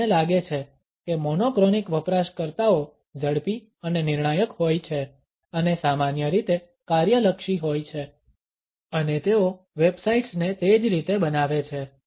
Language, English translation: Gujarati, We find that monochronic users are quick and decisive and usually task oriented and they design the websites in the same manner